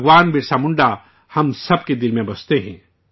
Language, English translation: Urdu, Bhagwan Birsa Munda dwells in the hearts of all of us